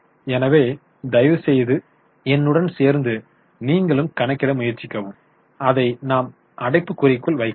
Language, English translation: Tamil, So, please try to calculate along with me, we will put this in bracket